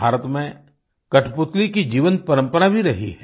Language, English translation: Hindi, India has had a vibrant tradition of Kathputli, that is puppetry